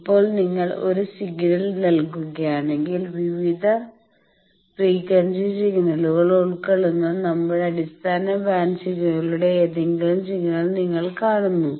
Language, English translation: Malayalam, Now, if you give a signal, generally you see any signal our base band signals that composes of various frequency signals